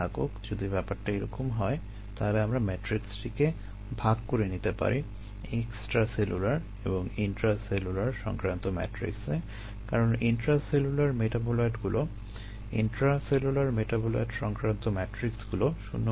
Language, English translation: Bengali, if this is the case, then we could spilt up this matrix as related to extracellular and intracellular ah matrixes, because intracellular matrixes, intracellular metabolite related matrixes, will back